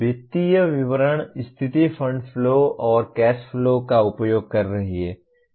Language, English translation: Hindi, The financial statement, the condition is using fund flow and cash flow